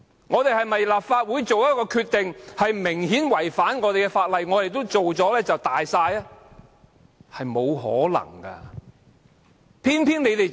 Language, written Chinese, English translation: Cantonese, 難道當立法會作出的決定明顯違反法例時，我們也可以"大晒"般去執行呢？, Is it possible that we can still proceed to execute the Councils decision like that we have supreme authority over everything even when the decision evidently contravenes the laws?